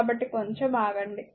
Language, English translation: Telugu, So, just hold on